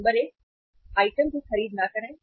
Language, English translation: Hindi, Number 1, do not purchase item